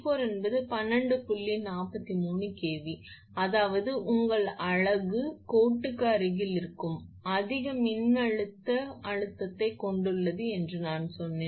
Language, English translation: Tamil, 43 kV; that means, I told you that your unit, which is nearer to the line have higher voltage stress